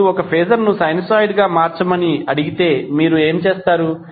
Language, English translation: Telugu, Now if you are asked to transform a phaser into a sinusoid, what you will do